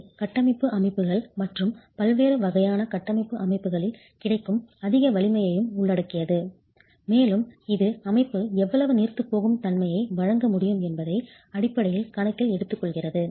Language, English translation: Tamil, It also includes over strength that is available in structural systems, in different types of structural systems, and it basically takes into account how much of ductility can the system provide